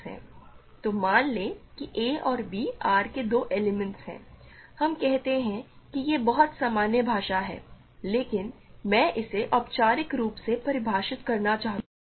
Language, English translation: Hindi, So, let us say a and b are two elements of R, we say that so, this is very common language, but I want to formally define this